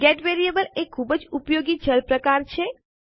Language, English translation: Gujarati, Get variable is a very useful variable type